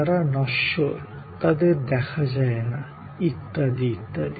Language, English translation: Bengali, They were perishable; they were intangible and so on